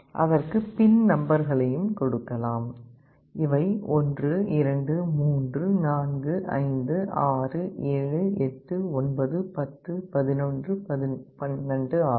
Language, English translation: Tamil, We can also give the pin numbers; these will be 1 2 3 4 5 6 7 8 9 10 11 12